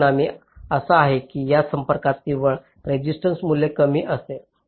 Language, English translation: Marathi, the result is that the net resistance value of this contact will be less